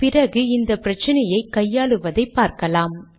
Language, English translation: Tamil, I will explain how to address this problem